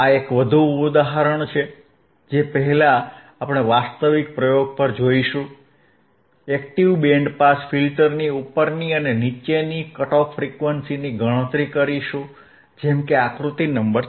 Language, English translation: Gujarati, This is one more example, before which we will go to the actual experiment, is band pass filter if calculate higher and lower cut off frequencies of active band pass filter, right